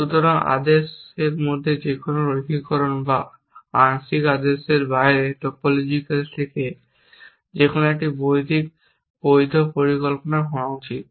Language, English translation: Bengali, So, any linearization of a partial order or any to topological out of a partial order should be a valid plan